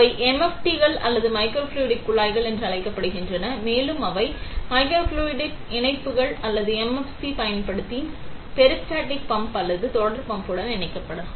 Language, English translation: Tamil, They are called MFTs or microfluidic tubes, and they can be connected to a peristaltic pump or a series pump using microfluidic connectors or MFCs